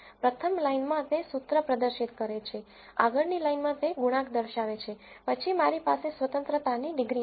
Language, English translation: Gujarati, In the first line it displays the formula, in the next line it displays the coefficient then I have degrees of freedom